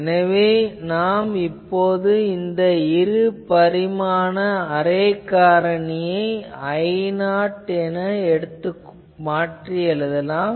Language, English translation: Tamil, And so, we can rewrite this array factor two dimensional array factor as I 0